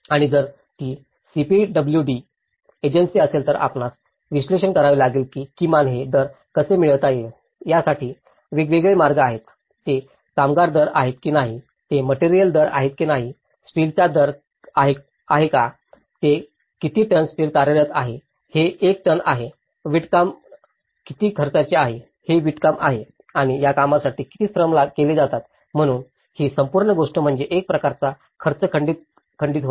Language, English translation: Marathi, And if it is a CPWD agency, then you have to analyse, that at least there are different ways how one can get these rates, whether it is a labour rate, whether it is a material rate, whether it is a steel rate, if it is one ton how much steel it is working, it is brickwork how much brickwork is costing and for this amount of brickwork, how much labour is worked out so this whole thing is a kind of a cost break up